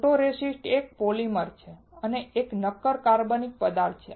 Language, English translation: Gujarati, Photoresist is a polymer and is a solid organic material